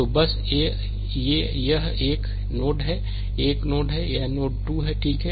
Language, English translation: Hindi, So, just just ah just this one this is your node 1 this is your node 2, right